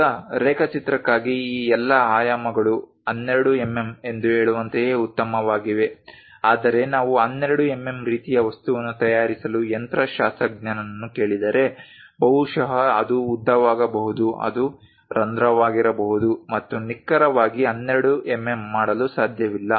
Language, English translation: Kannada, Now, all these dimensions for drawing is perfectly fine like saying 12 mm, but if you are asking a machinist to prepare 12 mm kind of object, perhaps it can be length it can be hole its not possible to precisely make 12 mm